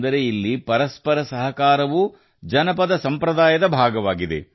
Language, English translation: Kannada, That is, mutual cooperation here is also a part of folk tradition